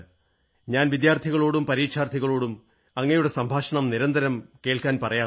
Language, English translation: Malayalam, But I regularly listen to your conversations with students and exam warriors